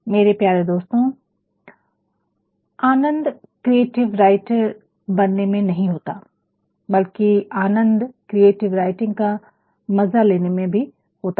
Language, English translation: Hindi, My dear friend, the pleasure lies not only in becoming only a creative writer, but the pleasure also lies in enjoying a work of creative writing